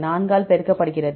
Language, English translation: Tamil, 4 multiplied by